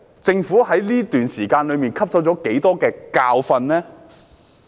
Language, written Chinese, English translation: Cantonese, 政府在這段時間汲取了多少教訓呢？, What exactly has the Government learned during this time?